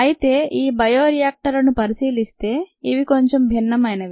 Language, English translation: Telugu, the bioreactors themselves might look a little different